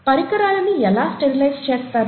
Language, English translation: Telugu, How are instruments sterilized